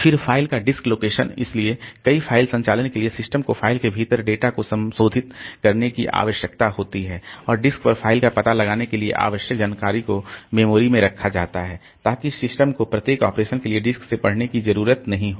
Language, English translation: Hindi, Then the disk location of the file so many file operations require the system to modify data within the file and the information needed to locate the file on the disk is kept on memory so that the system does not have to read it from the disk for each operation